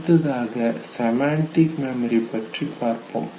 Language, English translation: Tamil, First is the semantic network, okay